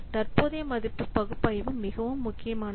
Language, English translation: Tamil, So present value analysis is very much important